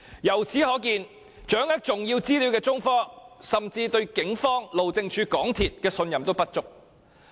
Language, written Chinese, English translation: Cantonese, 由此可見，掌握重要資料的中科甚至對警方、路政署及港鐵公司也信任不足。, From this we can see that China Technology which possesses important information does not even have enough confidence in the Police HyD and MTRCL